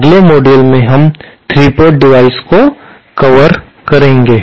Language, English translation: Hindi, In the next module we shall cover 3 port devices, thank you